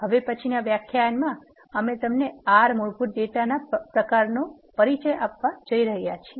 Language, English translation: Gujarati, In the next lecture we are going to introduce you to the basic data types of R